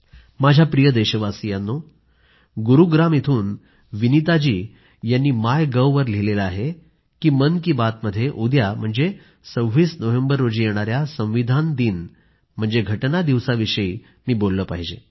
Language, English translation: Marathi, My dear countrymen, Vineeta ji from Gurugram has posted on MyGov that in Mann Ki Baat I should talk about the "Constitution Day" which falls on the26th November